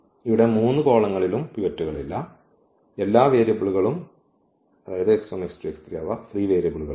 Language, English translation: Malayalam, So, this first column will have pivot and the second and the third one will be the free variables